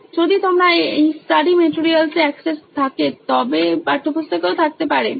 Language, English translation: Bengali, Just in case if you have access to these study materials there can be text books also